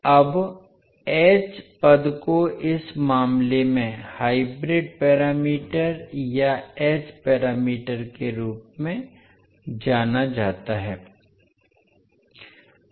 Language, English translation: Hindi, Now h terms are known as the hybrid parameters or h parameters in this case